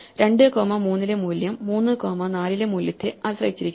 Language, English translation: Malayalam, The value at 2 comma 3 depends on the value 3 comma 4